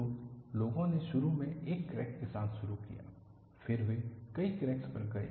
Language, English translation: Hindi, So, people initially started with one crack, then, they went to multiple cracks